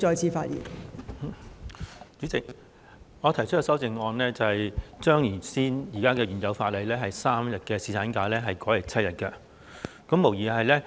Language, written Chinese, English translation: Cantonese, 代理主席，我提出修正案，以把現行法例的3天侍產假增加至7天。, Deputy Chairman I have proposed an amendment to increase the three - day paternity leave as provided for in the existing legislation to seven days